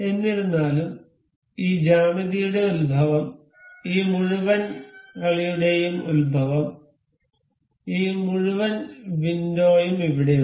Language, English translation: Malayalam, However the origin of this geometry, origin of this whole play this whole window is here